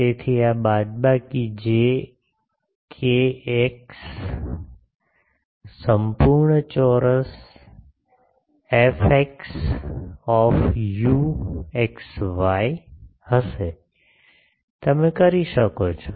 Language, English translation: Gujarati, So, this will be minus j k x whole square F x u x y etcetera etc